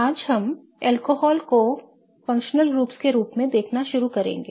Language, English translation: Hindi, Today we will begin looking at alcohols as functional groups